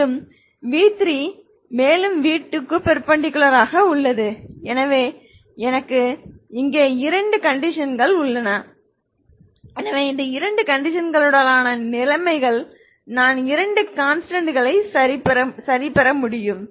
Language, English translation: Tamil, And v3 is also perpendicular to v2 so i have two conditions here so these are the conditions with these two conditions i can get two constants ok